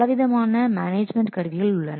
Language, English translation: Tamil, Many other configuration management tools are there